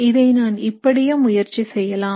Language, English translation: Tamil, Maybe I will try like this